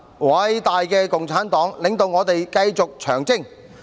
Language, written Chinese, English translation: Cantonese, 偉大的共產黨，領導我們繼續長征！, The great Communist Party leads us in continuing the Long March!